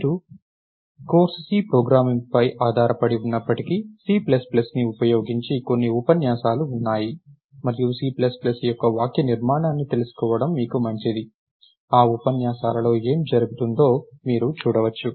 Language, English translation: Telugu, there are a few lectures that are done using c plus plus, and its good for you to know the syntax of c plus plus so, that you can appreciate what is happening in those lectures